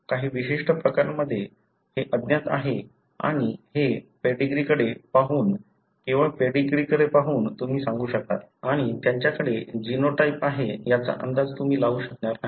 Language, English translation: Marathi, This is unknown in certain unique cases and this, by looking into the pedigree, only looking into the pedigree, you will be able to tell, and you would not anticipate that they are having the genotype